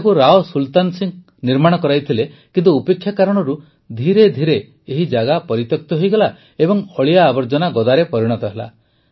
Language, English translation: Odia, It was built by Rao Sultan Singh, but due to neglect, gradually this place has become deserted and has turned into a pile of garbage